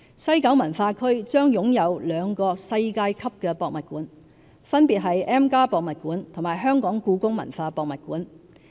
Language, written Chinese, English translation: Cantonese, 西九文化區將擁有兩個世界級博物館，分別是 M+ 博物館和香港故宮文化博物館。, The West Kowloon Cultural District will boast two world - class museums namely M and the Hong Kong Palace Museum